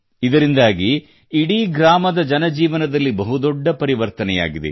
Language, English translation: Kannada, This has brought a big change in the life of the whole village